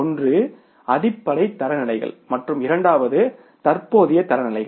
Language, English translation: Tamil, One are basic standards and second are current standards